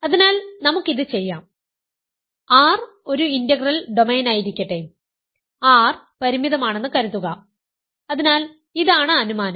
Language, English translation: Malayalam, So, I have assumed that R is a finite integral domain and showed that R is a field